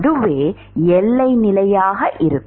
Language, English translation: Tamil, What is the boundary condition